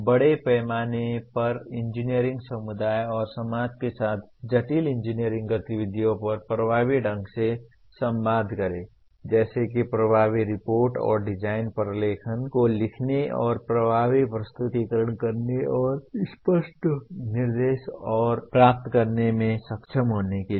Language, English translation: Hindi, Communicate effectively on complex engineering activities with the engineering community and with society at large such as being able to comprehend and write effective reports and design documentation, make effective presentations and give and receive clear instructions